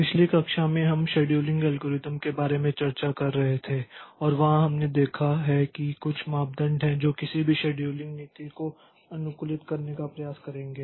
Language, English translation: Hindi, In the last class, we were discussing about scheduling algorithms and there we have seen that there are certain criteria that any scheduling policy will try to optimize